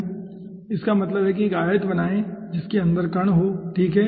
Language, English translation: Hindi, that means draw one rectangle encompassing the particle inside, okay